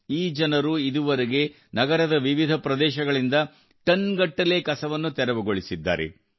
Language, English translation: Kannada, These people have so far cleared tons of garbage from different areas of the city